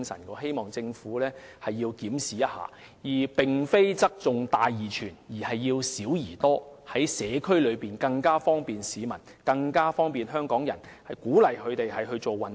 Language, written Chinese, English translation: Cantonese, 我希望政府進行檢視，不要側重於"大而全"，而要"小而多"，在社區方便及鼓勵市民和香港人做運動。, I hope the Government can conduct a review and focus on providing various small venues instead of tilting towards those massive and comprehensive projects so as to make it more convenient for residents and Hong Kong people to do exercises in communities and encourage them to do so